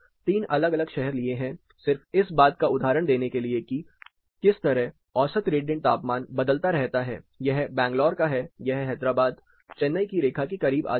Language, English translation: Hindi, three different cities just to given an example of how mean radiant temperature varies this is the case of Bangalore, Hyderabad the peak comes close to this is the Chennai line to this comes close to this it may vary from case to case